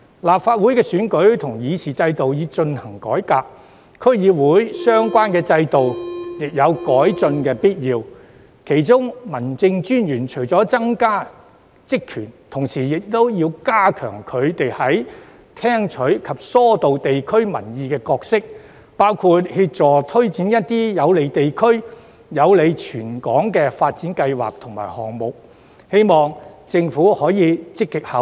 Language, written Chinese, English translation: Cantonese, 立法會選舉及議事制度已進行改革，區議會的相關制度亦有改進的必要，其中民政事務專員除了增加職權，同時亦要強化聽取及疏導地區民意的角色，包括協助推展一些有利地區、有利全港的發展計劃和項目，希望政府可以積極考慮。, As the electoral and deliberative systems of the Legislative Council have been reformed it is also necessary to improve the relevant systems of the District Councils . Apart from strengthening the powers of the District Officers their roles in listening to and channelling public opinions at the district level should also be strengthened which include assisting in taking forward development plans and programmes that are beneficial to the districts and Hong Kong as a whole . I hope that the Government can think about this seriously